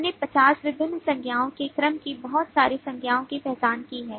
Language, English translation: Hindi, we have identified a whole lot of nouns of the order of 50 different nouns